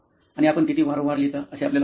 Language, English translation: Marathi, And how frequently do you think you write